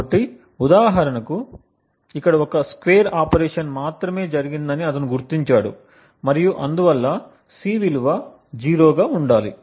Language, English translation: Telugu, So, for example over here he identifies that there is only a square operation that is performed and therefore the value of C should be 0